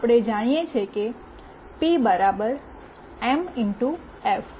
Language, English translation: Gujarati, We know that P = m x f